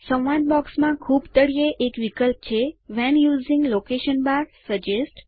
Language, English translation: Gujarati, At the very bottom of the dialog box, is an option named When using location bar, suggest